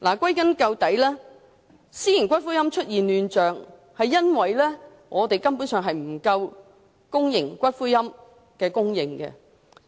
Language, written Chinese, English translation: Cantonese, 歸根究底，私營龕場出現亂象，根本上源於公營龕位供應不足。, After all the chaotic situation in the private columbaria market basically originates from the short supply of public niches